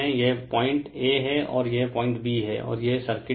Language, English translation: Hindi, This is the point A, and this is the point B, and this is the circuit